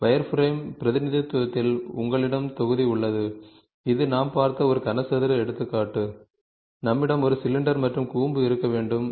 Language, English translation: Tamil, In wireframe representation, you have block which is a cube example we saw, we we can also have a cylinder and a cone